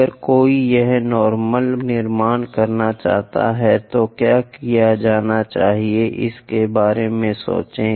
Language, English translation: Hindi, If one would like to construct normal here, what to be done, think about it